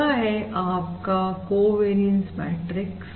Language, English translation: Hindi, this is basically the covariance matrix